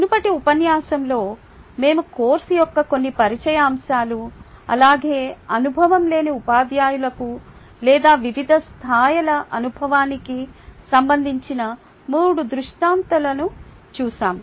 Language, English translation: Telugu, in the previous lecture we looked at some introductory aspects of the course as well as three scenarios pertinent to inexperienced teachers or at different levels of experience